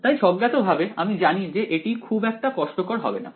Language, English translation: Bengali, So, intuitively we know that this is not going to be very difficult ok